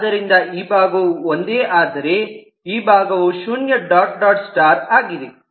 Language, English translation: Kannada, so this side is one, whereas this side is zero dot dot star